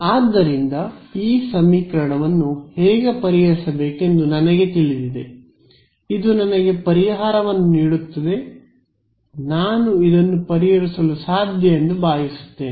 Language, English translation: Kannada, So, I know how to solve this equation it will give me the solution will be what supposing I want to solve this